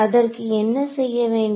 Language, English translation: Tamil, So, what would I have to do